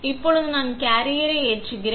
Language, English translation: Tamil, Now, I load the carrier